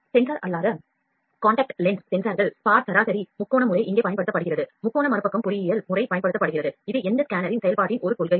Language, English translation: Tamil, The sensor is non contact lens sensors spot mean triangulation method is used here the triangulation reverse engineering method is used which is a principle of working of this scanner